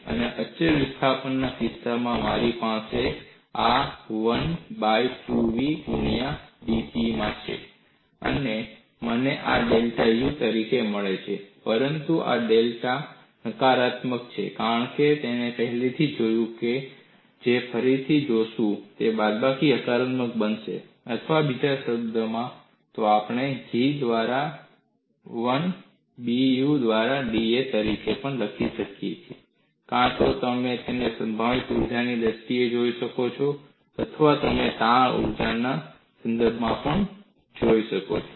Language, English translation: Gujarati, And in the case of constant of displacement, I have this as 1 by 2 v into dP, and I get this as delta U; but this delta U is negative because we have seen already, we will also look that up again, that minus of minus will become positive, or in other words, we can also write G simply as 1 by B dU by da; either you can look at it in terms of potential energy, or you can also look at in terms of the strain energy